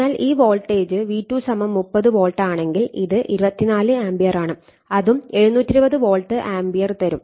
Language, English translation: Malayalam, So, if you see this voltage is your V2 is 30 volt and this is 24 ampere so, that is also 720 volt ampere right